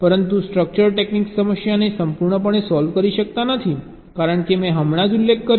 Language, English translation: Gujarati, but structure techniques can totally solve the problem, as i have just now mentioned there